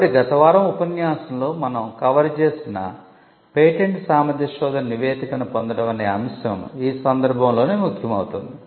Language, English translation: Telugu, So, this is where getting a patentability search report something which we covered in last week’s lecture would become relevant